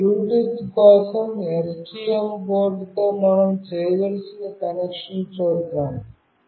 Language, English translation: Telugu, Let us see the connection that we have to do for this Bluetooth with STM board